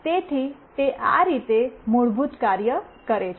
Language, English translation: Gujarati, So, this is how it basically works